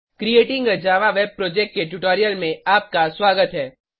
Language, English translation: Hindi, Welcome to the spoken tutorial on Creating a Java Web Project